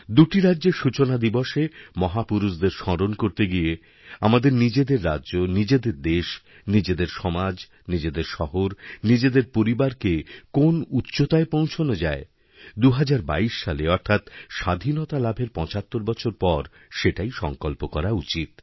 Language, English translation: Bengali, In remembrance of these great men, on the foundation day of these two states, we should take the pledge of taking our state, our country, our society, our city, and our family to glorious heights in 2022, when we celebrate 75 years of independence